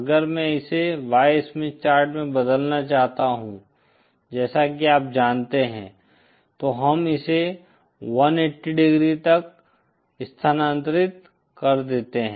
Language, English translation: Hindi, If I want to convert it to the Y Smith Chart the process as you know, we shift this by 180 degree